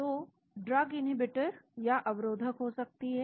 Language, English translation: Hindi, So, the drug could be inhibitors